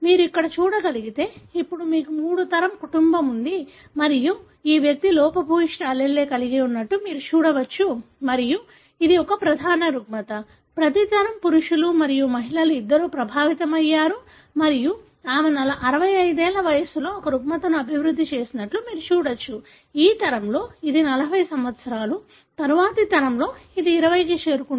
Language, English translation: Telugu, If you can see here, now you have condition, three generation family and you can see here this individual carried a defective allele and it is a dominant disorder; every generation both male and female affected and you can see that she developed a disorder at 65, in this generation it is around 40, in next generation it has become around 20